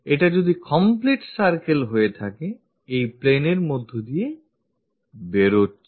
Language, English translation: Bengali, If this is the complete circle, this line pass through that